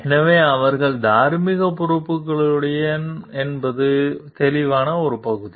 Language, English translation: Tamil, So, that is the clear part that they are morally responsible to